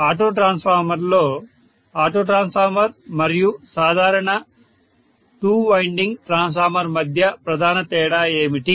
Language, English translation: Telugu, In the auto transformer what is the major difference between an auto transformer and the normal two winding transformer